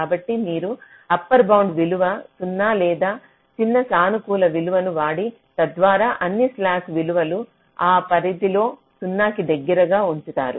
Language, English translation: Telugu, so either you just upper bound it to zero or use a small positive value so that the slack values all reach close to zero within that range